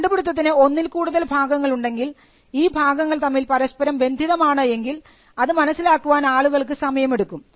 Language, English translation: Malayalam, Sometimes, if the invention has multiple parts and if the parts interact with each other in a particular way, it takes time for people to understand that